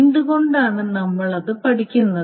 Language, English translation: Malayalam, Now why are we studying it